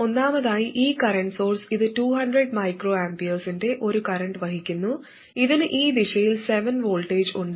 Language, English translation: Malayalam, First of all this current source it is carrying a current of 200 microamper and it has a voltage of 7 volts across it in this direction